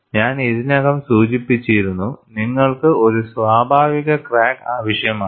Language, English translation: Malayalam, And I had already mentioned, you need a natural crack